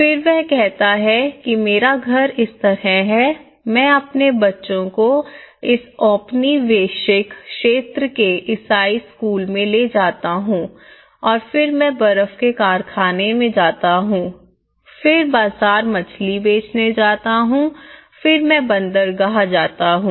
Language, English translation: Hindi, Then he says my house is like this I took my children to the school in the Christian this colonial area and then I go to the ice factory here, and then I go to the market and sell the fish I go to the harbour